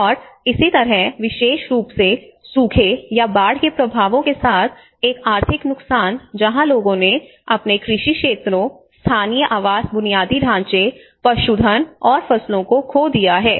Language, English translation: Hindi, And similarly an economic loss especially with drought or the flood impacts where people have lost their agricultural fields, damage to local housing infrastructure, livestock and crops